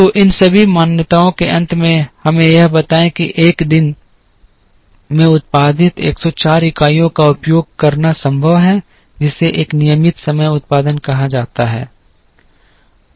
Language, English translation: Hindi, So, all these assumptions finally, give us that it is possible to have 104 units which are produced in a day using what is called a regular time production